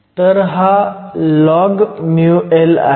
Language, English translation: Marathi, So, this is log mu L